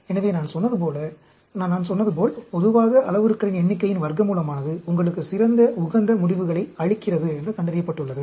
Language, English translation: Tamil, So, as I say, as I said, generally, it has been found, square root of number of parameters gives you the best optimum results